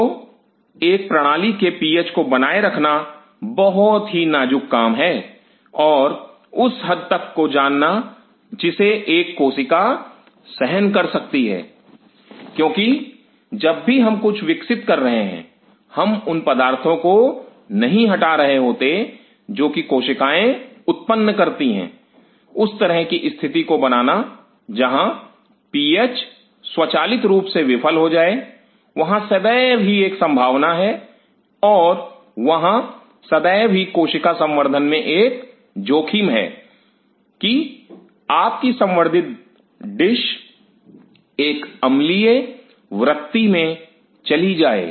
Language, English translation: Hindi, So, maintaining the PH of a system is extremely critical and knowing the window to which a cell can withstand it because when we are growing things, we are not removing all are the Debris which the cells are producing that kinds of create a situation where the PH may automatically fail there is always a possibility and there is always a danger in the cell culture that your cultured dish goes on an acidic frame